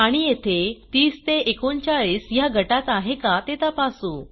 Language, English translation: Marathi, Here we check whether the number is in the range of 30 39